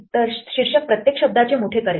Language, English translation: Marathi, So, title will capitalize each word